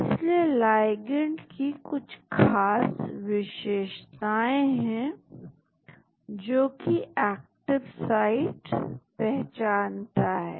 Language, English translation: Hindi, So, there are certain features in the ligand, which the active site recognize